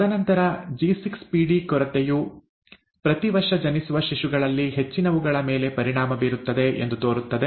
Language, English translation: Kannada, And then there is something called G6PD deficiency which seems to affect a large number of infants born every year, right